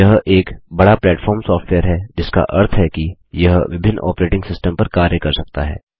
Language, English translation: Hindi, It is a cross platform software, which means it can run on various operating systems